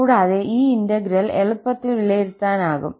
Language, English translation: Malayalam, And, this integral can be evaluated easily